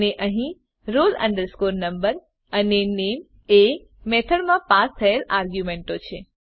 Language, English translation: Gujarati, And here roll number and name are the arguments passed in the method